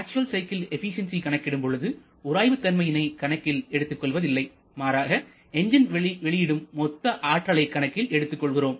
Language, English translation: Tamil, So, while calculating the efficiency of the actual cycle we do not consider friction because that they are we generally consider the gross output from the engine